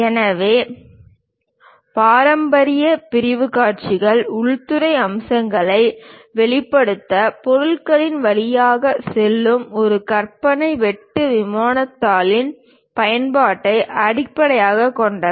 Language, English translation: Tamil, So, traditional section views are based on the use of an imaginary cut plane that pass through the object to reveal interior features